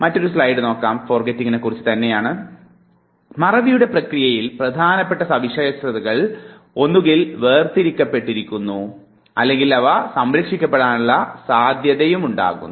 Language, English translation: Malayalam, Now, during the process of forgetting, important features are either filtered out or there could be a possibility that they are preserved